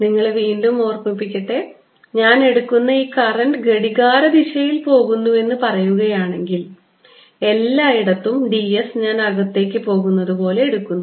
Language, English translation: Malayalam, let me remind you again, i am taking this current loop and if the current is, say, going clockwise, then d s everywhere i am taking as going in, so it is given by my right hand convention